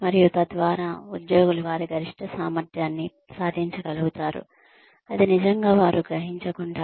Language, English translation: Telugu, And, so that, employees are able to achieve their maximum potential, without really realizing that, they are doing it